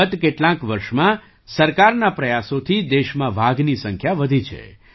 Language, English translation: Gujarati, During the the last few years, through the efforts of the government, the number of tigers in the country has increased